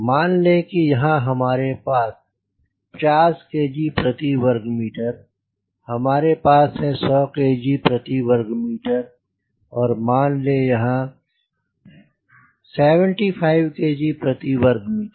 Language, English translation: Hindi, here we have got hundred kg per meter square and let say here it is seventy five kg per meter square